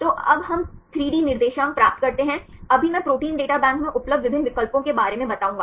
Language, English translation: Hindi, So, now we get the 3D coordinates, right now I will explain about the various options available in Protein Data Bank